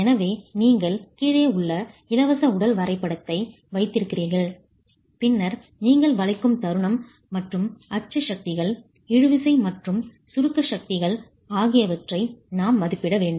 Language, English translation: Tamil, So you have the free body diagram at the bottom and then you have the bending moment and the axial forces, the tensile and compressive forces that we have to estimate